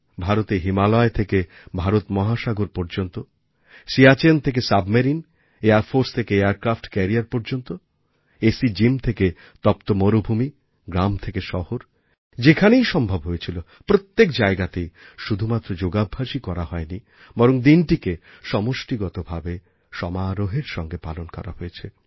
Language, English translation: Bengali, In India, over the Himalayas, across the Indian Ocean, from the lofty heights of Siachen to the depths of a Submarine, from airforce to aircraft carriers, from airconditioned gyms to hot desert and from villages to cities wherever possible, yoga was not just practiced everywhere, but was also celebrated collectively